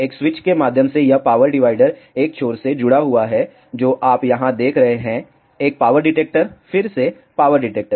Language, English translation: Hindi, Through a switch this power dividers one end is connected to what you see here is a power detector, again power detector